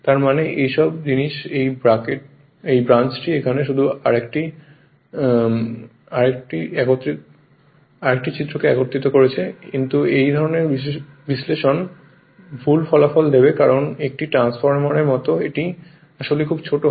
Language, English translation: Bengali, That means all these thing this branch put here only another club it together, but this kind of analysis will give you erroneous result because like a transformer this I 0 actually very small right